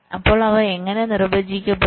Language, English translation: Malayalam, so how are they defined